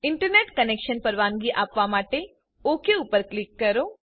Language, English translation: Gujarati, Click Ok to give the Internet Connection Permission